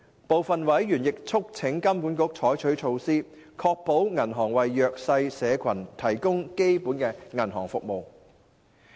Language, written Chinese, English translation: Cantonese, 部分委員亦促請金管局採取措施，確保銀行為弱勢社群提供基本銀行服務。, Some members urged HKMA to take steps to ensure banks to provide basic banking services for socially disadvantaged groups